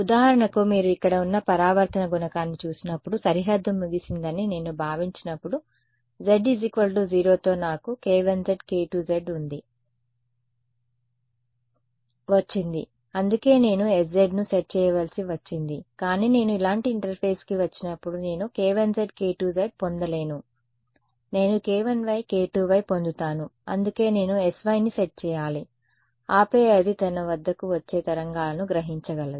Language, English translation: Telugu, For example, when you look at the reflection coefficient over here when I assume that the boundary was over along the z z equal to 0 I got k 1 z k 2 z that is why I needed to set s z, but when I come to an interface like this I will not get k 1 z and k 2 z I will get k 1 y and k 2 y that is why I need to set s y and then it is able to absorb any wave coming at it